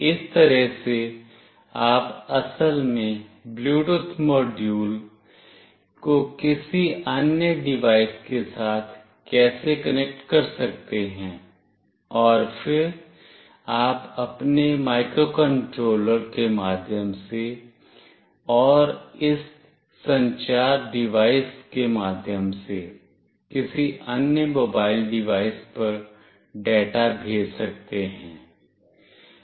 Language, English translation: Hindi, This is how you can actually connect a Bluetooth module with any other device, and then you can send the data through your microcontroller and through this communicating device to any other mobile device